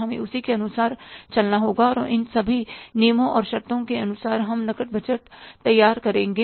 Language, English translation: Hindi, We will have to work accordingly and include all these as per these terms and conditions we prepare the cash budget